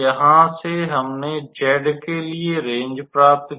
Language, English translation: Hindi, So, from here we calculated the range for z